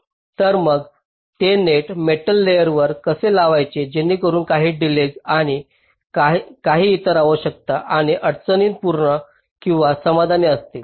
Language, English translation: Marathi, so how to layout those nets on the metal wires so that some delay and some other requirements are constraints, are met or satisfied